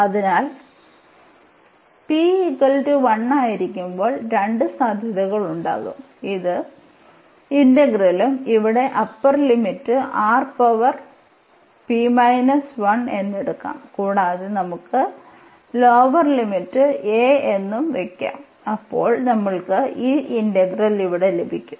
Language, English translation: Malayalam, So, there will be two possibilities when p is equal to 1, then this will be the integral and then p is equal to 1, this will be the integral and then we can substitute the upper limit here R power p minus 1 and we can substitute the lower limit as a and we will get this integral here